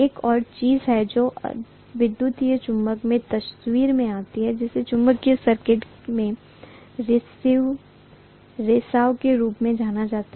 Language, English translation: Hindi, There is one more thing that comes into picture in electromagnetism which is known as leakage in a magnetic circuit